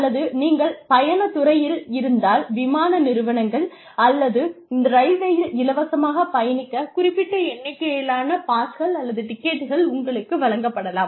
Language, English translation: Tamil, Or, if you are in the travel industry, you may get a certain number of passes or tickets, to travel free of cost say in the airlines or railways